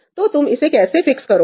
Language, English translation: Hindi, So, how do you fix this